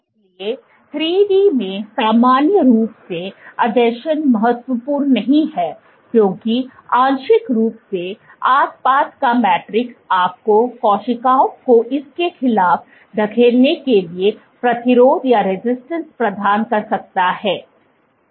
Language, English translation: Hindi, So, in 3D normally adhesion is not that important partly because the surrounding matrix can provide you the resistance for the cell to push against it